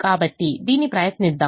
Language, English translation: Telugu, so let us try and do this